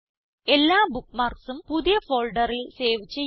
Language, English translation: Malayalam, * Save all the bookmarks in a new folder